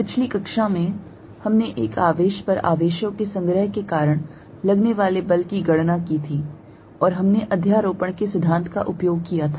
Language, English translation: Hindi, In the previous class, we calculated Force on a Charge Due to a Collection of Charges and we use principle of superposition